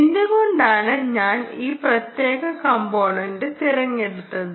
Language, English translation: Malayalam, ok, why did i choose this particular component